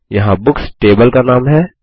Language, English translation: Hindi, Here Books is the table name